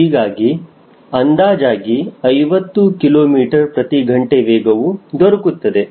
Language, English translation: Kannada, so around fifty kilometer per hour